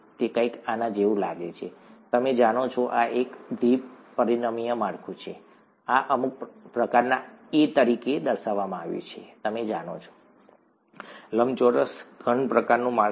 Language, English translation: Gujarati, It looks something like this, you know, this is a two dimensional structure, this is shown as some sort of a, you know rectangular, a cuboidal kind of a structure